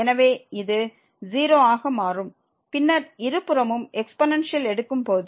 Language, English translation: Tamil, So, this will become 0 and then taking the exponential of both the sides